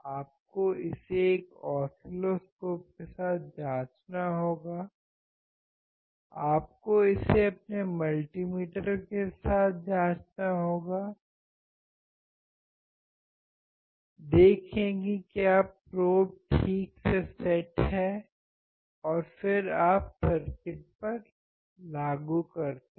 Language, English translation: Hindi, You have to check it with oscilloscope; you have to check it with your multi meter; see whether the probes are properly set and then you apply to the circuit